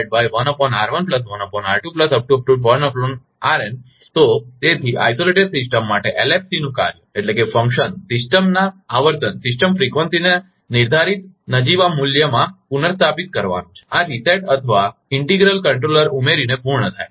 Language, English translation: Gujarati, So So, for isolated system, the function of 1FC is to restore system frequency to the specified nominal value and this is accomplished by adding a reset or integral controller